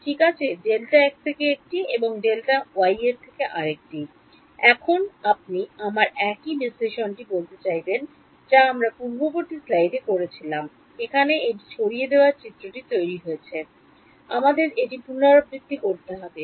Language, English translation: Bengali, Right, one from delta x and one from delta y so, now you would have to I mean the same analysis that we did in the previous slide we would have to repeat it to generate the dispersion diagram over here